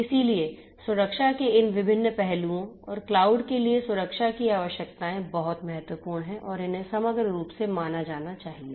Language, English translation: Hindi, So, all of these different you know aspects of security and the requirements of security for cloud are very important and has to be considered holistically